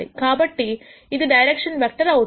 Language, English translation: Telugu, So, this is going to be a direction vector